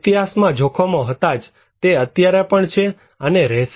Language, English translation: Gujarati, No, historically hazards were there, it is there and it will remain